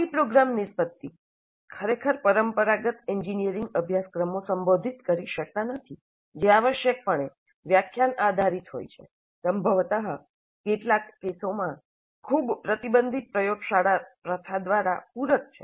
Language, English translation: Gujarati, And such POs cannot be really addressed by the traditional engineering courses which are essentially lecture based, probably supplemented in some cases by a very restricted laboratory practice